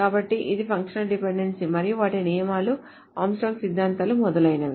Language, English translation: Telugu, So that's the idea about the functional dependency and their rules, the Armstrongs, axioms, etc